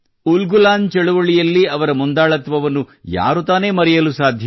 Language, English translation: Kannada, Who can forget his leadership during the Ulgulan movement